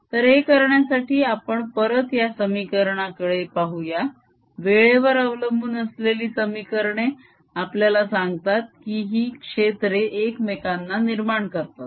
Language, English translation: Marathi, look at the equations, time dependent equations that tell us that this fields give rise to each other